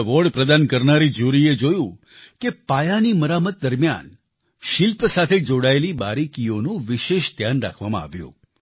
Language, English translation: Gujarati, The jury that gave away the award found that during the restoration, the fine details of the art and architecture were given special care